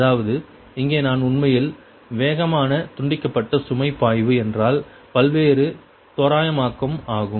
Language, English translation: Tamil, that means here i actually fast decoupled load flow means a several approximation, right, then this one